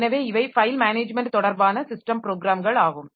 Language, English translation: Tamil, So, these are the file management related system programs